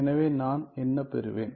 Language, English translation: Tamil, So, then what do I get